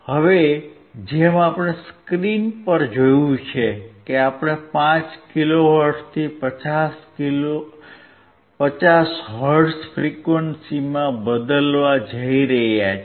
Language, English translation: Gujarati, Now, as we have seen on the screen that we were going to change from 5 kilohertz to 50 hertz